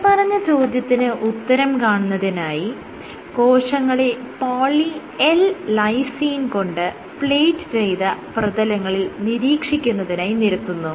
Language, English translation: Malayalam, So, to answer this question the cells were plated on Poly L lysine coated surfaces and what they observed